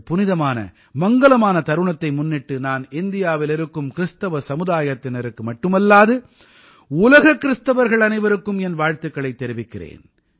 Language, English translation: Tamil, On this holy and auspicious occasion, I greet not only the Christian Community in India, but also Christians globally